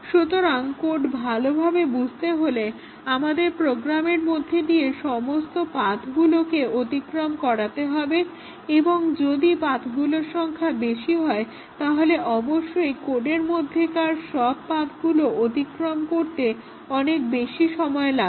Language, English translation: Bengali, So, our understanding the code would require us to traverse all the paths through the program and if the paths are more obviously, will have to spend long time traversing all paths in the code